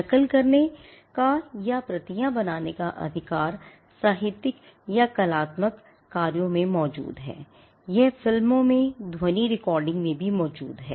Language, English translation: Hindi, The right to copy or make for the copies exists in literary or artistic works, it exists in films, in sound recordings as well